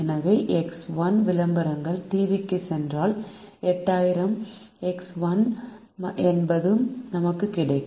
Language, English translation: Tamil, so if x one advertisements go to tv, then eight thousand x one is the reach that we get